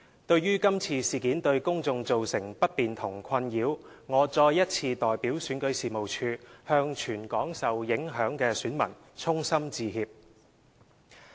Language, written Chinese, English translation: Cantonese, 對於這次事件對公眾造成不便和困擾，我再次代表選舉事務處向全港受影響選民衷心致歉。, I once again sincerely apologize to all affected electors in Hong Kong on behalf of REO for the inconvenience and frustration caused to the general public by this incident